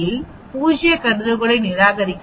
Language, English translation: Tamil, So we can reject the null hypothesis